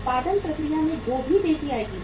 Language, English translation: Hindi, Production process will also pick up